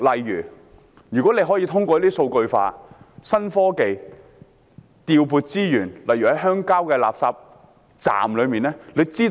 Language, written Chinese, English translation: Cantonese, 如果可以通過數據化、新科技來調撥資源，效果可能會更好。, If the resources can be deployed through digitalization and new technologies the result may be better